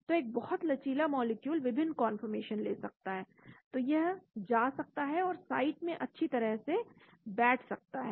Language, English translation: Hindi, So a very flexible molecule can take different conformation, so it can go and fit into nicely the site